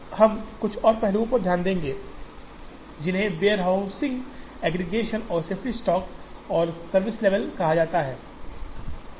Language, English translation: Hindi, Now, we will look at a couple of more aspects, which are called warehouse aggregation and safety stock and service levels in this